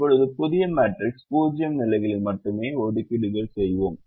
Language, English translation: Tamil, now in in the new matrix, we would only make assignments in zero positions